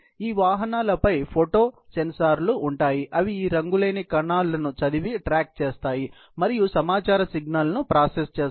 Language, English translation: Telugu, There are photo sensors on these vehicles, which will be read and track these colorless particles, and process the information signal